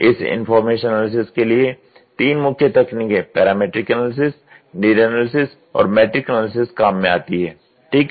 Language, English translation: Hindi, Three main techniques for this information analysis can be parametric analysis, need analysis, and matrix analysis, ok